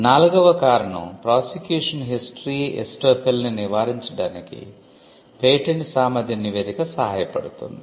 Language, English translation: Telugu, The 4th reason could be a patentability report can help in avoiding what is called prosecution history estoppel